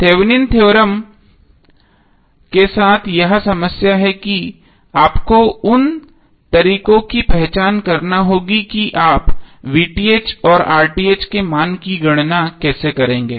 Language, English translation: Hindi, So the problem with the Thevenin’s theorem is that you have to identify the ways how you will calculate the value of VTh and RTh